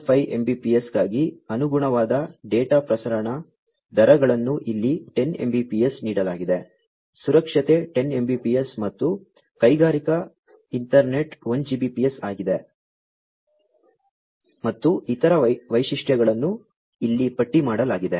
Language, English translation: Kannada, 5 Mbps for CC link LT, safety is 10 Mbps and industrial Ethernet is 1Gbps, and the other features are listed over here